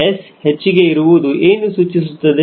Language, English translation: Kannada, s is increased, what will happen